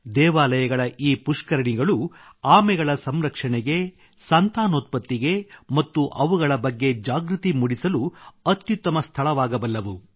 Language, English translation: Kannada, The ponds of theses temples can become excellent sites for their conservation and breeding and training about them